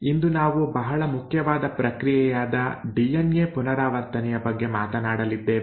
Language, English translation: Kannada, Today we are going to talk about a very important process, the process of DNA replication